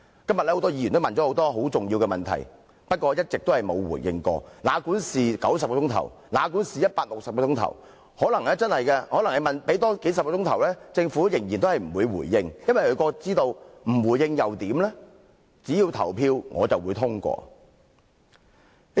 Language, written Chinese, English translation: Cantonese, 今天，很多議員提出了很多重要的問題，但政府一直沒有回應，哪管我們辯論多數十小時至90小時甚或160小時，政府可能仍然不會回應，因為它知道即使不作回應，只要《條例草案》付諸表決，便會通過。, Today many Members have raised many important questions but the Government has yet to respond to them . Even if the duration of our debate were increased by dozens of hours to 90 or even 160 hours the Government might still not respond to them because it knows that even if it does not respond to them the Bill is certain to be passed when put to the vote